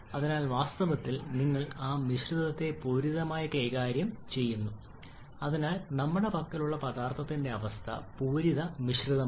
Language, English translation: Malayalam, So actually you are dealing with saturated that mixture so the state that we have state of the substance we have is that of saturated mixture